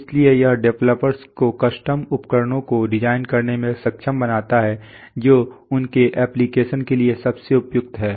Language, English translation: Hindi, So it enables developers to design custom instruments best suited to their application